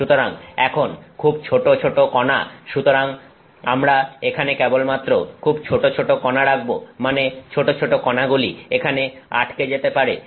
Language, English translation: Bengali, So now, very small particles; so, we will just put here very small; very small particles implies clogging